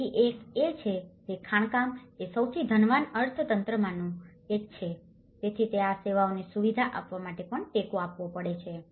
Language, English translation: Gujarati, So, one is the mining being one of the richest economy, so it also supports to facilitate these services